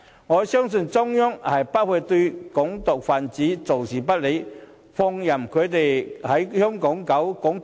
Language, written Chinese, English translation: Cantonese, 我深信中央不會對"港獨"分子坐視不理，放任他們在香港搞"港獨"。, I am convinced that the Central Government will not just look on and let them engage in activities that promote Hong Kong independence as they wish